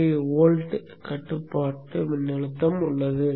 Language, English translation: Tamil, 5 volts as the control voltage here